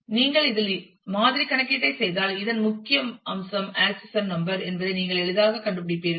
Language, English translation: Tamil, So, if you do the sample computation on this you will easily figure out that a key of this is accession number